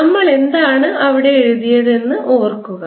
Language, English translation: Malayalam, recall what did we write there